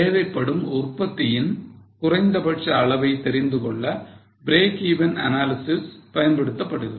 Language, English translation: Tamil, Now, break even analysis is used to know the minimum level of production required